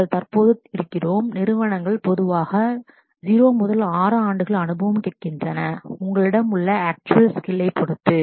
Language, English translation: Tamil, We are at present, it is companies are typically asking for 0 to 6 years of experience depending on actual skills that you have